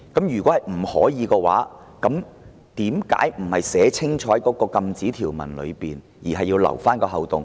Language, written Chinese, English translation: Cantonese, 如否，為何沒有在禁止條文寫清楚，而要留下一個漏洞？, If not why this is not stated clearly in the prohibition provisions leaving such a loophole?